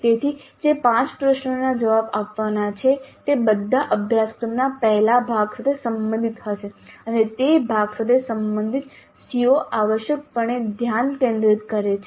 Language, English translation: Gujarati, So the five questions to be answered will all belong to the earlier part of the syllabus and the COs related to that part are essentially focused upon